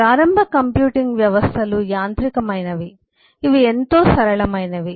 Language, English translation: Telugu, initial computing systems were mechanical, which are very simple